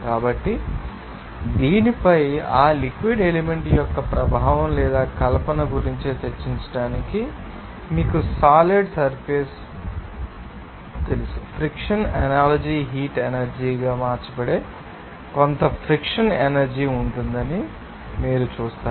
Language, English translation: Telugu, So, because of that to discuss effect or fiction of that fluid element over this you know solid surface you will see there will be some frictional energy that friction analogy will be converted into heat energy